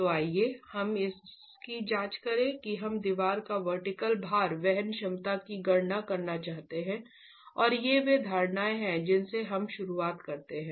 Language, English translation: Hindi, We want to calculate the vertical load bearing capacity of the wall and these are the assumptions that we begin with